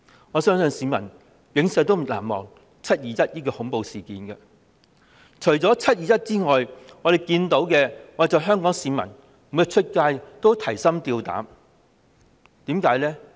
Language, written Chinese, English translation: Cantonese, 我相信香港市民永遠難忘"七二一"恐怖事件，而除了"七二一"外，我們看到他們每天外出也提心吊膽，為甚麼呢？, We believe Hong Kong people will never forget the terrible 21 July incident . Apart from the 21 July incident we can see that people are scared when they go out for daily routines